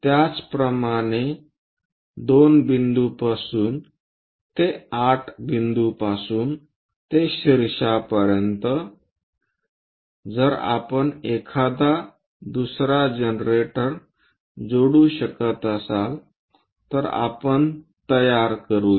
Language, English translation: Marathi, Similarly from two extend all the way to that point from that point to 8 apex, if we are connecting another generator we can construct